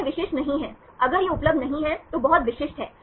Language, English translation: Hindi, That is not specific, if it is not available, very specific